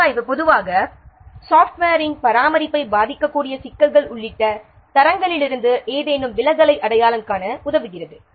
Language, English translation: Tamil, Review usually helps to identify any deviation from the standards including the issues that might affect maintenance of the software